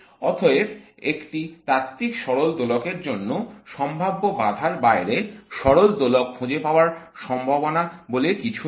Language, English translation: Bengali, Therefore for a classical harmonic oscillator there is nothing called finding the harmonic oscillator outside of the potential barrier